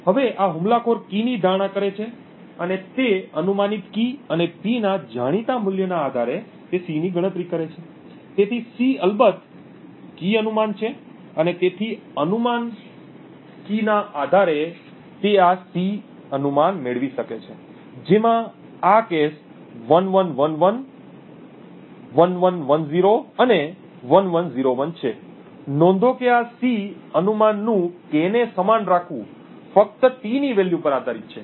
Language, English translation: Gujarati, Now what the attacker does is that he guesses the key and based on that guessed key and the known value of P he computes C, so C is of course the key guess and therefore based on the guess key he can obtain this C guess which in this case is 1111, 1110 and 1101, note that this C guess keeping K constant only depends on the value of t